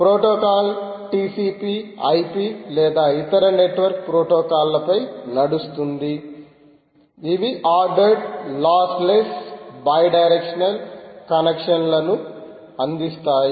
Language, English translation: Telugu, the protocol runs over t, c, p, i, p or other network protocols that provide ordered, lossless bidirectional connections